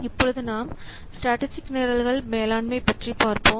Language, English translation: Tamil, Now, let's see about this strategic programs